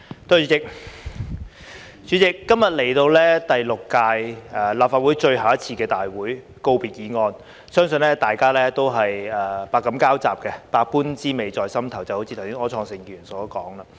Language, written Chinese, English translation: Cantonese, 代理主席，今日來到第六屆立法會最後一次大會，辯論告別議案，相信大家都是百感交雜，百般滋味在心頭，就像剛才柯創盛議員所說。, Deputy President today we come to the last meeting of the Sixth Legislative Council to debate the valedictory motion . I believe that we all have mixed feelings and emotions just like what Mr Wilson OR said earlier